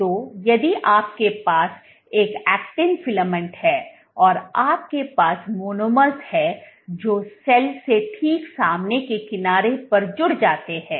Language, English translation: Hindi, So, if you have an actin filament, this is an actin filament and you have monomers which get added to the front edge of the cell right